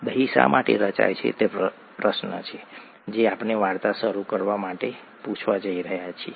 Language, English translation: Gujarati, Why does curd form, is the question that we are going to ask to begin the story